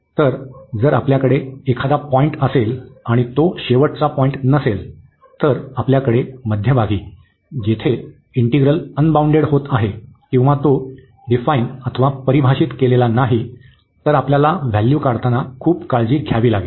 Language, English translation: Marathi, So, if we have a point not the end point, if you have a point in the middle where the integral is getting is integrand is unbounded or it is not defined, we have to be very careful for the evaluation